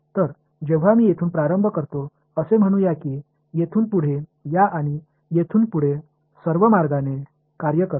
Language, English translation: Marathi, So, when I start from let us say let me start from this point over here and work my way all the way back over here